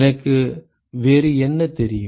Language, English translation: Tamil, What else do I know